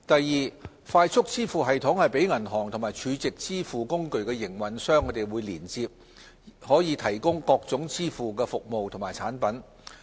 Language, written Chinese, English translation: Cantonese, 二快速支付系統讓銀行及儲值支付工具營運商連接，以提供各種支付服務及產品。, 2 Banks and SVF operators can make use of FPS to provide various kinds of payment services and products